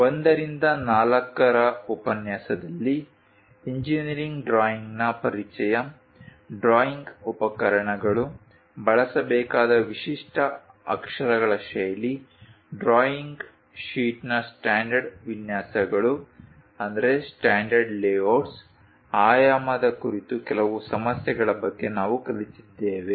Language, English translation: Kannada, In lecture 1 to 4, we have learned about engineering drawing introduction, drawing instruments, the typical lettering style to be used; standard layouts of drawing sheet, few issues on dimensioning